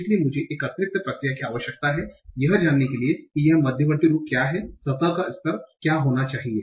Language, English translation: Hindi, So, I need an additional process to find out, given this intermediate form, what should be the surface level form